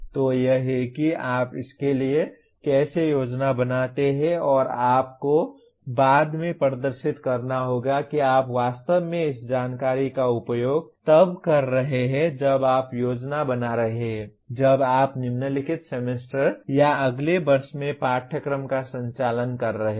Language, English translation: Hindi, So this is how you plan for that and you have to demonstrate later that you are actually using this information when you are planning, when you are conducting the course in the following semester or following year